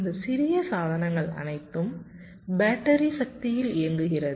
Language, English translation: Tamil, this portable devices all run on battery power